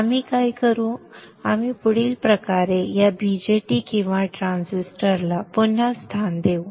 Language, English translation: Marathi, Next what we will do we will further reposition this BJT or a transistor in the following way